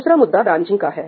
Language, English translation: Hindi, The second issue is branching